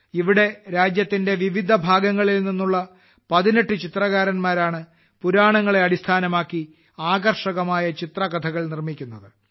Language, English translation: Malayalam, Here 18 painters from all over the country are making attractive picture story books based on the Puranas